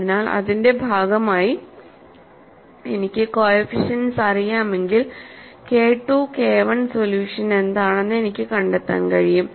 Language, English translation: Malayalam, So, I can find out if I know the coefficients, as part of the solution I can find out what is k 2 and k 1